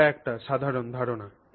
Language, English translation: Bengali, That's the basic idea